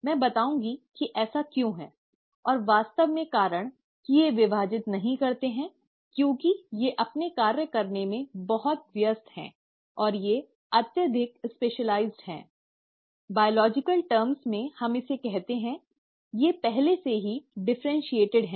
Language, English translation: Hindi, I’ll come to it as to why, and the reason in fact I would say that they don’t divide is because they are too busy doing their function and they are highly specialized, in biological terms we call it as, they are already ‘differentiated’